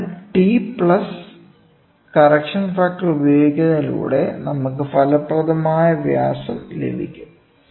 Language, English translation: Malayalam, So, T plus correction factor we get the effective diameter